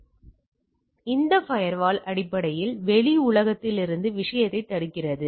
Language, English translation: Tamil, And, this firewall is basically to prevent to the thing from the external world